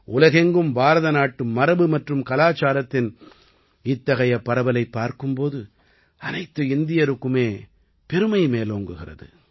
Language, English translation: Tamil, Every Indian feels proud when such a spread of Indian heritage and culture is seen all over the world